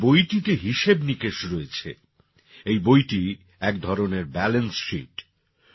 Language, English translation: Bengali, With accounts in it, this book is a kind of balance sheet